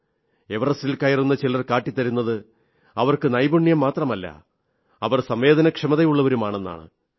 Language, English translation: Malayalam, There are some mountaineers who have shown that apart from possessing skills, they are sensitive too